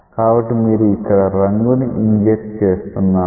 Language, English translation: Telugu, So now, you are going on injecting the dye here